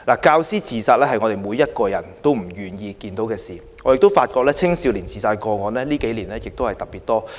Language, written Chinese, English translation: Cantonese, 教師自殺是每個人也不願意看見的事，我亦發現青少年的自殺個案近幾年特別多。, We all hate to see teachers suicides but youth suicides as I noted were also numerous in the past few years